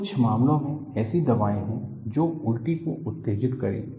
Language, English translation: Hindi, In some cases, there are medicines which would stimulate vomiting